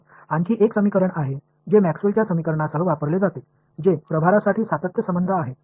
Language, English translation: Marathi, Then there is another equation which is used alongside Maxwell’s equations which is the continuity relation for charge